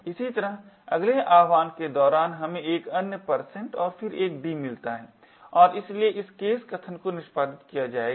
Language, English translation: Hindi, Similarly during the next invocation we also get another % and then a d and therefore this case statement would get executed